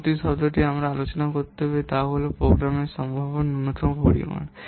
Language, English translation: Bengali, Next term that we have to discuss its program potential minimum volume